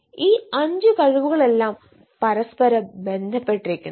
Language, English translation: Malayalam, so all these five abilities are inter connected